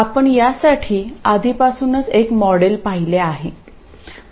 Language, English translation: Marathi, Now we already have seen a model for this